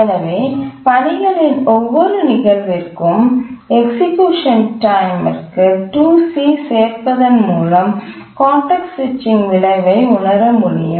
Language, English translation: Tamil, So we can take the effect of context switching by just adding 2C to the execution time of every instance of the tasks